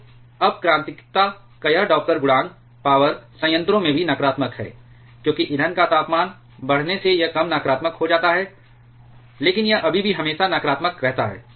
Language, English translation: Hindi, So, this Doppler coefficient of reactivity is also negative in power reactor, as a fuel temperature rises it becomes less negative, but it still always stays negative